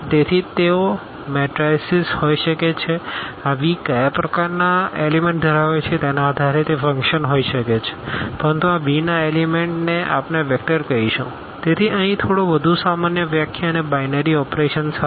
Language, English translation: Gujarati, So, they can be matrices they can be functions depending on what type of elements this V contain, but the elements of this V we will call vector, so, a little more general definition here and together with two binary operations